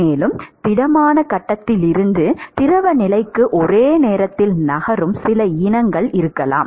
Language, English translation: Tamil, And the there could be some species which is simultaneously moving from the solid phase to the fluid phase